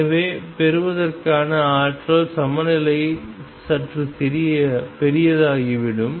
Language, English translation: Tamil, So, the energy eigen value out with getting would become slightly larger